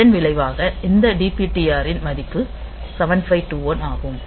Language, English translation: Tamil, So, we can have this DPTR 7521 h this movement